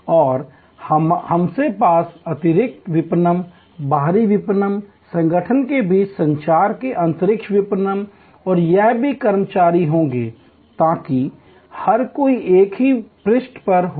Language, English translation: Hindi, And we will have internal marketing, external marketing, internal marketing of communication between the organization and all it is employees, so that every bodies on the same page